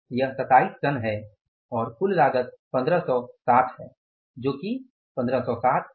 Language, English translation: Hindi, This is going to be 27 tons and the total cost is 1560